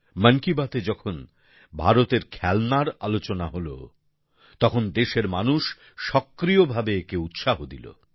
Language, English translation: Bengali, In 'Mann Ki Baat', when we referred to Indian toys, the people of the country promoted this too, readily